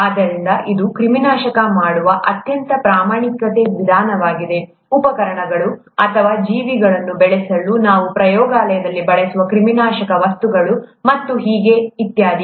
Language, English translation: Kannada, So that's a very standard method of sterilizing instruments, or sterilizing things that we use in the lab to grow organisms and so on